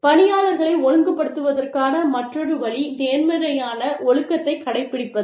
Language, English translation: Tamil, Then, the other way of disciplining employees is, positive discipline